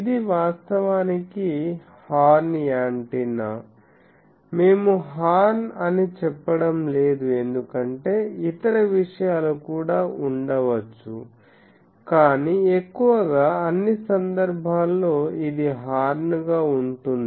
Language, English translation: Telugu, This is actually horn antenna, we are not saying horn because there can be other things also, but mostly in all the cases it is on